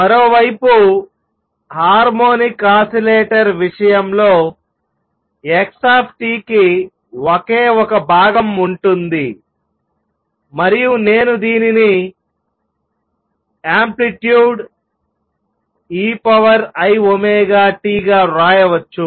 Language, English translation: Telugu, On the other hand, in the case of harmonic oscillator x t has only one component and I can write this as the amplitude e raise to i omega t